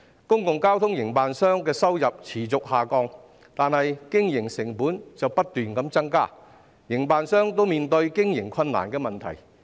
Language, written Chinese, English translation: Cantonese, 公共交通營辦商的收入持續下降，但經營成本卻不斷增加，營辦商均面對經營困難的問題。, While the income of public transport operators has been falling the operating costs keep rising . Operators encounter difficulties in running the business